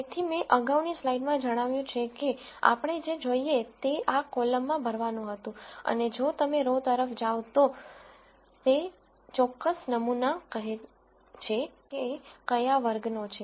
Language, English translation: Gujarati, So, as I mentioned in the previous slide what we wanted was to fill this column and if you go across row then it says that particular sample belongs to which class